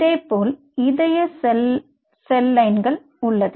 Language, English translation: Tamil, similarly there is a cardiac cell line